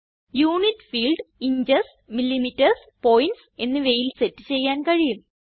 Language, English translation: Malayalam, Unit field can be set in inches, millimetres and points